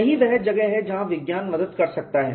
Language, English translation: Hindi, That is where science can help